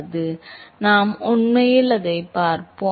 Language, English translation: Tamil, So, we will actually see that